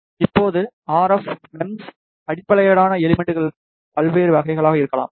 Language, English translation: Tamil, Now, the RF MEMS based components can be of various types